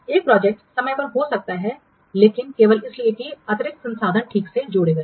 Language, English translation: Hindi, A project could be on time but only because additional resources have been added